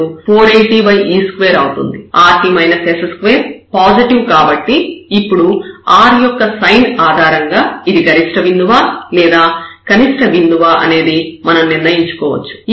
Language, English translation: Telugu, So, 480 over e square and now based on this sign of r, we can decide whether this is a point of maximum or minimum